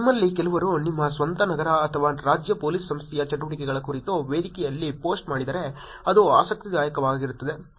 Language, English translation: Kannada, It will be interesting if some of you actually post about your own city or state police organization activities on the forum